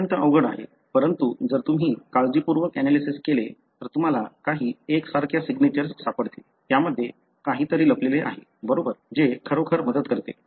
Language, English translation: Marathi, It is extremely difficult, but if you carefully analyse, you could find certain signatures that are identical, something hidden there, right, that really helps